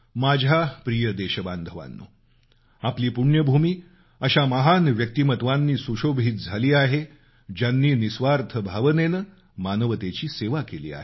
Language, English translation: Marathi, My dear countrymen, our holy land has given great souls who selflessly served humanity